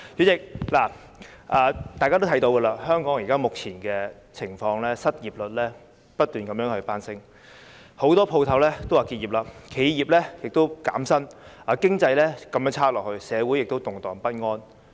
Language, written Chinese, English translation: Cantonese, 主席，大家也看到香港目前的情況，失業率不斷攀升，很多店鋪也打算結業，企業亦減薪，經濟繼續滑落，社會亦動盪不安。, Many business owners plan to close down their shops . Enterprises announce salary cuts . The economy continues to slump and social unrest persists